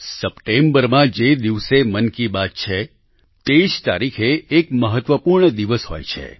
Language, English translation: Gujarati, The day of Mann Ki Baat this September is important on another count, date wise